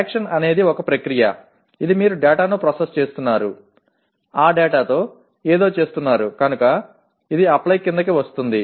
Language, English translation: Telugu, Action is a process which belongs to, you are processing the data, doing something with that data; so it is Apply